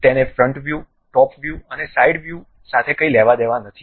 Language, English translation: Gujarati, It is nothing to deal with front view, top view and side view